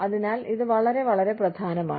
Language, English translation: Malayalam, So, it is very, very, important